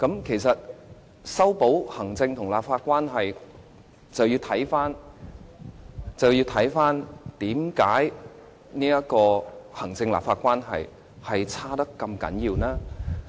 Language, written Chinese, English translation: Cantonese, 其實，要修補行政立法關係，便要先了解行政立法關係惡劣的原因。, To mend the executive - legislature relationship one must first find out the reasons for the bad relationship in the first place